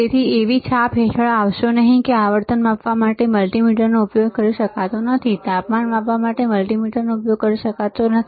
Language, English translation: Gujarati, So, do not come under the impression that the multimeter cannot be used to measure frequency; the multimeter cannot be used to measure temperature, right